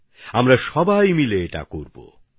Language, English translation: Bengali, We're going to do it together